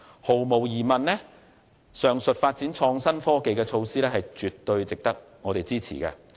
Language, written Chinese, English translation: Cantonese, 毫無疑問，上述發展創新科技的措施絕對值得我們支持。, There is no doubt that the above measures for IT development are definitely worthy of our support